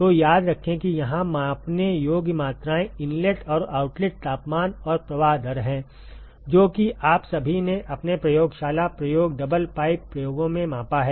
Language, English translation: Hindi, So, remember that the measurable quantities here are the inlet and the outlet temperatures and the flow rates, which is what all of you have measured in your lab experiment double pipe experiments